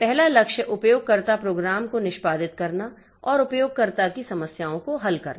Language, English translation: Hindi, First goal is to execute user programs and make solving user problems easier